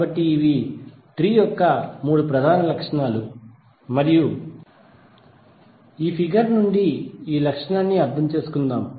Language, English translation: Telugu, So these are the three major properties of tree and let us understand this property from this figure